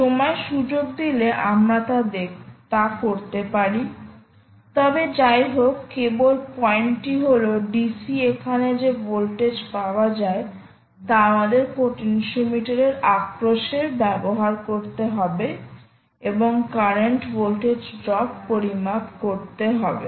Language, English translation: Bengali, if time permits, we can do that, but anyway, just the point is that the d, c voltage that is available here, ah, we will have to be used across a potentiometer and keep measuring the current as well as the voltage